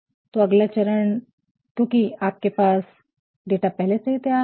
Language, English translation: Hindi, The next step is because you have the data ready